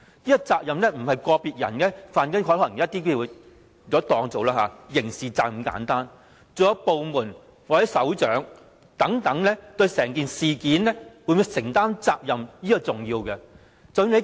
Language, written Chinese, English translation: Cantonese, 這責任不是個別人士犯了例如刑事責任那麼簡單，還有部門或首長等會否對整件事情承擔責任，這是重要的。, Such responsibility does not simply refer to criminal liabilities committed by individuals . It is rather the bearing of responsibility by the department concerned or by its head for the entire incident . This is important